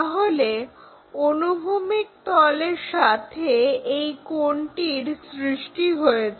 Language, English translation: Bengali, So, this is the angle which is making with that horizontal plane